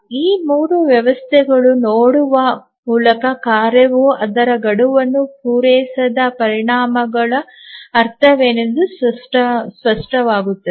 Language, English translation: Kannada, Let us look at these three systems then it will become that what do you mean by the consequence of the task not meeting its deadline